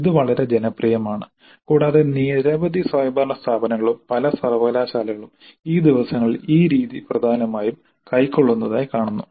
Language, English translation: Malayalam, This is fairly popular and many autonomous institutes as well as many universities have adopted this type much more prominently these days